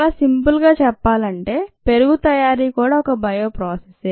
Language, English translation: Telugu, very simplistically speaking, curd making is also a bio process